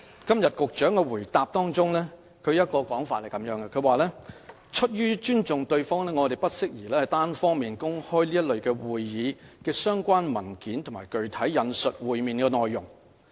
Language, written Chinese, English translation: Cantonese, 局長的主體答覆是這樣說的，"出於尊重對方，我們不宜單方面公開這類會議的相關文件或具體引述會面內容"。, The main reply of the Secretary says Out of respect for our counterparts it is not appropriate for us to unilaterally publish the meeting papers or disclose the contents of the meetings in detail